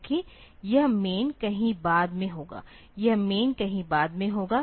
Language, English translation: Hindi, Whereas, this MAIN will be somewhere later, this MAIN will be somewhere later